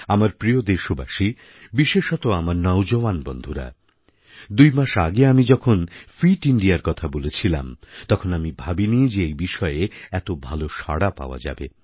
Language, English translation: Bengali, My dear countrymen, especially my young friends, just a couple of months ago, when I mentioned 'Fit India', I did not think it would draw such a good response; that a large number of people would come forward to support it